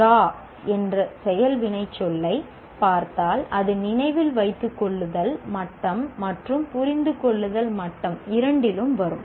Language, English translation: Tamil, And if you look at this word, the action verb draw also appears both in remember as well as understand